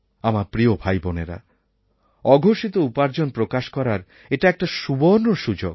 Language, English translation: Bengali, And so my dear brothers and sisters, this is a golden chance for you to disclose your undisclosed income